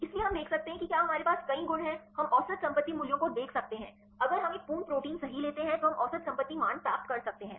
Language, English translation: Hindi, So, we can see if we have many properties, we can see the average property values, if we take a full protein right we can get the average property values